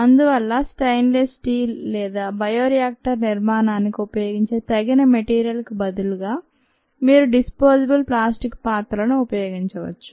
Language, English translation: Telugu, therefore, instead of this stainless steel or appropriate material ah that is used for bioreactor construction, which is a permanent there, you could use disposable plastic vessels